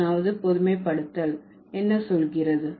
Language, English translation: Tamil, What does the 21st generalization say